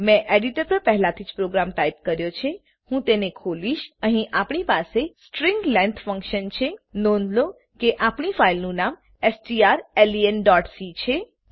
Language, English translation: Gujarati, I have already typed the program on the editor, I will open it Here we have the string length function Note that our filename is strlen.c